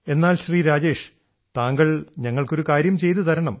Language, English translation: Malayalam, But see Rajesh ji, you do one thing for us, will you